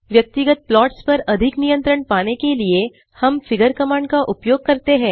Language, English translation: Hindi, To accomplish more control over individual plots we use the figure command